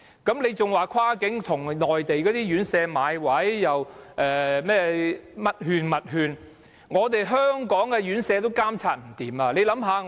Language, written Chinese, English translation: Cantonese, 你還說要跨境，要向內地院舍買位，又說甚麼這種券、那種券，卻連在香港的院舍也監察不來。, And you are advocating cross - boundary arrangements suggesting the purchase of places from Mainland homes the use of this and that vouchers while failing to regulate even those residential care homes within Hong Kong